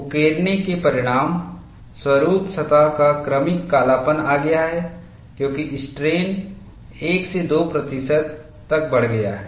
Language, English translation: Hindi, The etching has resulted in gradual darkening of the surface as the strain is increased from 1 to 2 percent